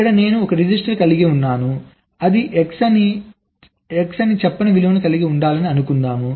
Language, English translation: Telugu, let say here i have a register which is suppose to hold the value of, let say, x